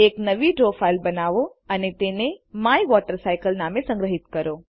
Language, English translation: Gujarati, Create a new draw file and save it as MyWaterCycle